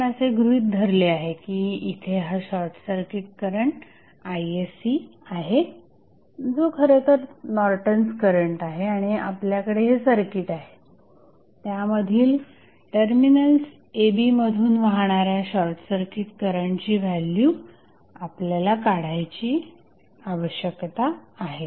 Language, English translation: Marathi, Now, we have assume that there is a short circuit current Isc which is nothing but the Norton's current and you have the circuit you need to find out the value of short circuit current flowing through short circuited terminal AB